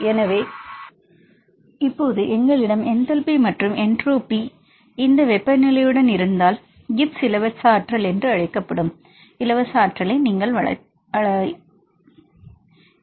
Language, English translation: Tamil, So, now if we have the enthalpy and the entropy and also along with this temperature, that you can explain the free energy that is called Gibbs free energy